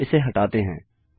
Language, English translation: Hindi, So lets get rid of these